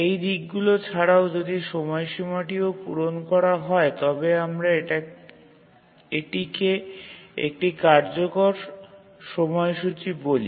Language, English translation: Bengali, In addition to these aspects, if the deadline is also met then we call it as a feasible schedule